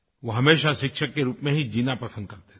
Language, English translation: Hindi, He preferred to live a teacher's life